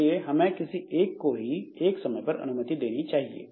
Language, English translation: Hindi, So, we allow only, we should allow only one process at a time